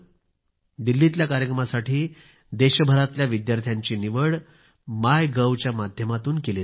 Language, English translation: Marathi, Students participating in the Delhi event will be selected through the MyGov portal